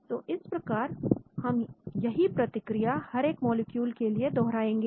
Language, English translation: Hindi, So we keep repeating the procedure for each molecule